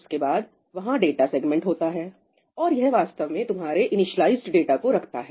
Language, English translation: Hindi, After that, there is the data segment, and this essentially contains your initialized data